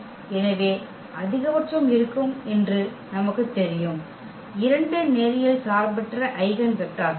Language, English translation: Tamil, So, we know that there will be at most 2 linearly independent eigenvectors